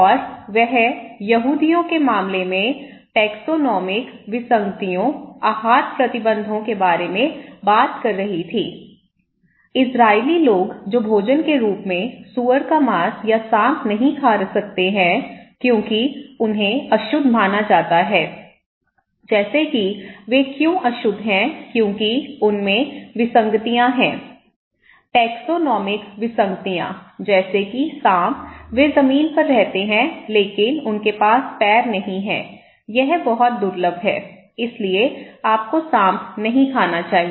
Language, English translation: Hindi, And she was talking about taxonomic anomalies, dietary restrictions in case of Jews, Israeli people who cannot have pork or snake as a food, okay because they are considered to be unclean like why they are unclean because they are anomalies, so taxonomic anomalies like snake, they live on land but they do not have legs so, it is very rare, so that’s why you should not eat snake